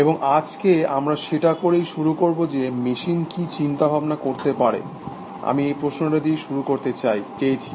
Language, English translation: Bengali, And today we will start doing that is, can machines think, I wanted to start already thinking about this question